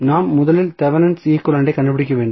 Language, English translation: Tamil, So, what we have to do we have to first find the Thevenin equivalent